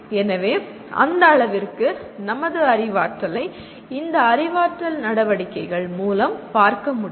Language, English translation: Tamil, So to that extent our learning can be looked through this cognitive activities